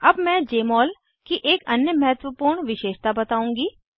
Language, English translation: Hindi, Now I will discuss another important feature of Jmol